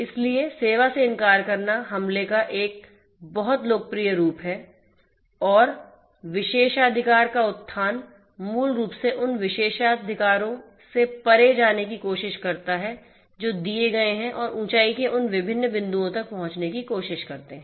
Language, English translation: Hindi, So, denial of service is a very popular form of attack and elevation of privilege is basically one tries to go beyond the privileges that have been given and try to get access to those different points of elevation